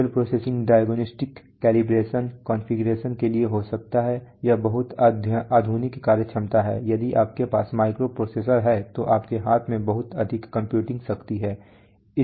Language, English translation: Hindi, Digital processing could be for diagnostics calibration configuration, this is very modern functionality if you have a microprocessor you have a lot of computing power at your hand